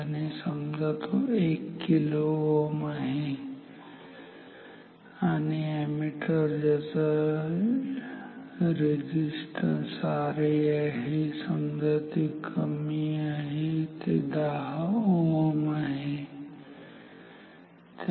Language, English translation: Marathi, So, let us take it 1 kilo ohm and an ammeter with ammeter resistance R A equals say it should be small let us take 10 ohm ok